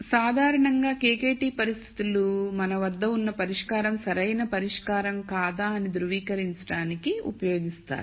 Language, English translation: Telugu, So, in general the KKT conditions are generally used to verify if a solution that we have is an optimal solution